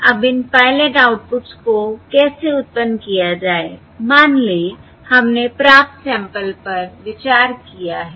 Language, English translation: Hindi, Now, how to generate these pilot outputs, that is, let us say we have considered the received sample